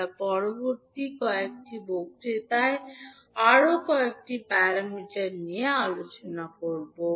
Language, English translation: Bengali, We will discuss few more parameters in the next few lectures